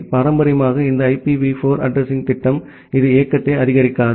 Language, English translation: Tamil, And traditionally this IPv4 addressing scheme it does not support mobility